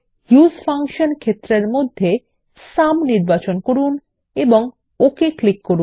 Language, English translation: Bengali, Under the Use function field ,lets choose Sum and click OK